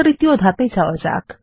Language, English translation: Bengali, Let us go to Step 3